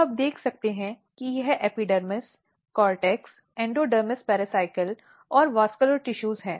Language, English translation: Hindi, So, you can see this is epidermis, cortex, endodermis pericycle and the vascular tissues